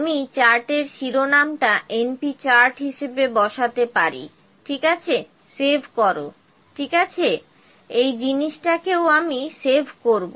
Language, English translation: Bengali, This number defective this is the np chart I can put the chart title as np chart, ok, save, ok, also I will save this thing